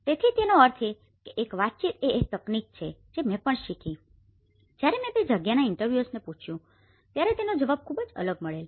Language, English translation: Gujarati, So, which means is a communication techniques which I have learnt also, when I asked interviewers in the land the response is very different